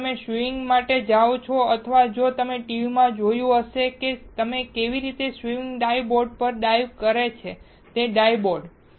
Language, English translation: Gujarati, If you go for swimming or if you have seen in TV, how swimmer dives on the dive board that dive board